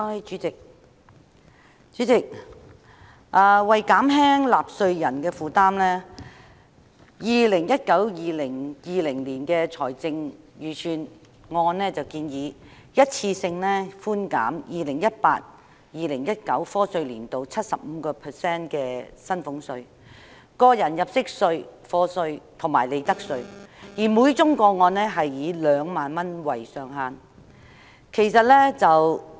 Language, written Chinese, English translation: Cantonese, 主席，為減輕納稅人的負擔 ，2019-2020 年度的財政預算案建議一次性寬減 2018-2019 課稅年度 75% 的薪俸稅、個人入息課稅及利得稅，每宗個案以2萬元為上限。, Chairman in order to alleviate the burden on taxpayers the 2019 - 2020 Budget has proposed a one - off reduction of salaries tax tax under personal assessment and profits tax for the year of assessment 2018 - 2019 by 75 % subject to a ceiling of 20,000 per case